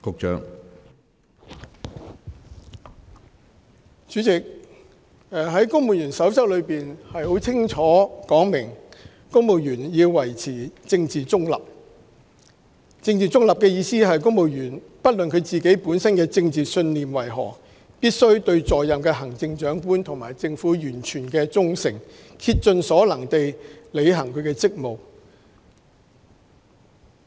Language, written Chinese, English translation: Cantonese, 主席，《公務員守則》清楚訂明，公務員必須保持政治中立。政治中立是指不論公務員本身的政治信念為何，必須對在任的行政長官及政府完全忠誠，並竭盡所能地履行職務。, President the Civil Service Code clearly provides that civil servants must maintain political neutrality that is no matter what their own political beliefs are civil servants shall serve the Chief Executive and the Government of the day with total loyalty and to the best of their ability